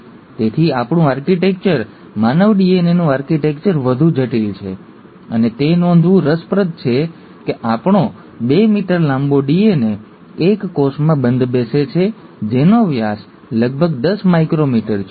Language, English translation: Gujarati, So our architecture, the architecture of human DNA, is far more complex, and it's interesting to note that our two meter long piece of DNA fits into a cell which has a diameter of about 10 micrometers